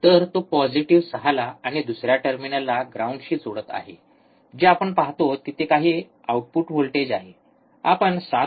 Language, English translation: Marathi, So, he is connecting the the positive to 6, and the another terminal to ground, what we see there is some output voltage, you can see 7